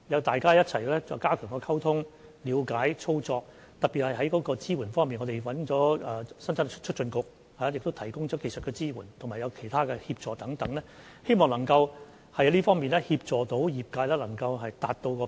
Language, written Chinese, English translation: Cantonese, 大家需要一起加強溝通、了解和操作，特別是在支援方面，我們邀請了香港生產力促進局提供技術支援及其他協助等，希望能夠在這方面協助業界達標。, We need to enhance communication and mutual understanding and enhance the operation of tail lift . In particular we have invited the Hong Kong Productivity Council to provide technical support and other assistance in a bid to help the industry to comply with the requirements